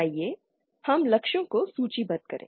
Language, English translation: Hindi, Let us list the goals